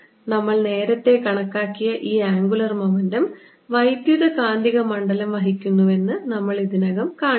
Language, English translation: Malayalam, we have already shown that the electromagnetic field carries this angular momentum which we calculated earlier